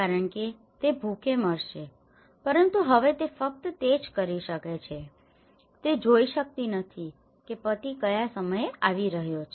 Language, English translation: Gujarati, Because he will be starving but now he can only, she cannot see whether the husband is coming at what time is coming